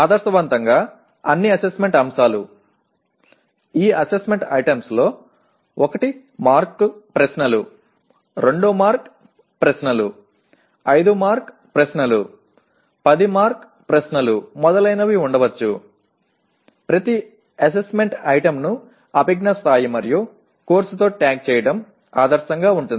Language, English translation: Telugu, Ideally, all assessment items, these assessment items could include it could be 1 mark questions, 2 mark questions, 5 mark questions, 10 mark questions and so on, each one of the assessment item is ideally to be tagged with the cognitive level and course outcome and the marks